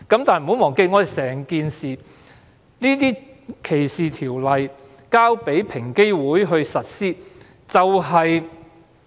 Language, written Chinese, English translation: Cantonese, 但是，不要忘記，歧視條例由平機會實施。, Nevertheless let us not forget that the anti - discrimination ordinances are implemented by EOC